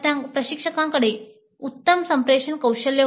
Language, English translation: Marathi, The instructor had excellent communication skills